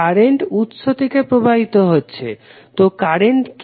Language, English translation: Bengali, Current is flowing from the source, so what is the current